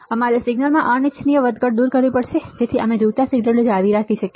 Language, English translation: Gujarati, We have to remove the unwanted fluctuation in the signal, so that we can retain the wanted signal